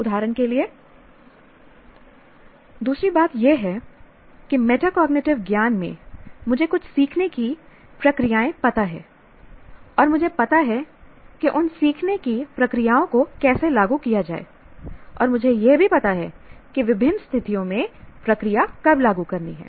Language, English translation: Hindi, For example, the other thing is in metacognitive knowledge, I know some learning procedures and I know how to implement those learning procedures and also I know when to apply a process in various situations